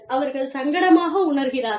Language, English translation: Tamil, And, they feel uncomfortable